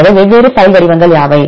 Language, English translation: Tamil, So, what are the different file formats